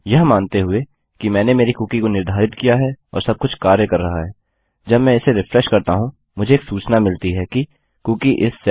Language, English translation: Hindi, Assuming that I have set my cookie and everything is working, when I refresh this Ill get the message that the Cookie is set